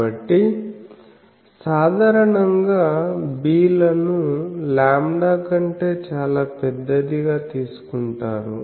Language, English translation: Telugu, So, generally the bs are taken much larger than lambda